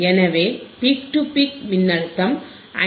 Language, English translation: Tamil, So, the peak to peak voltage yeah is 5